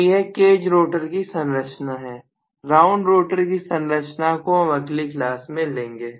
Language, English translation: Hindi, So this is cage rotor structure, will look at wound rotor structure in the next class